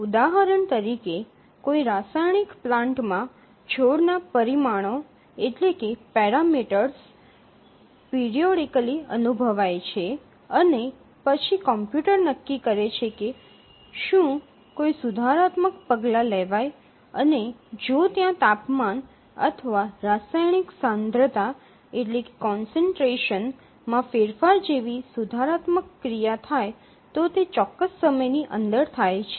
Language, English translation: Gujarati, For example, let's say a chemical plant, the parameters of the plant are sensed periodically and then the computer decides whether to take a corrective action and if there is a corrective action like changing the temperature or chemical concentration and so on it does within certain time